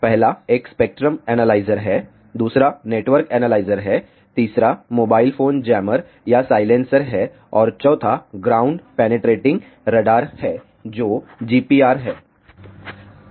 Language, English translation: Hindi, The first one is spectrum analyzer, the second is network analyzer, the third is mobile phone jammer or silencer and the fourth one is ground penetrating radar which is GPR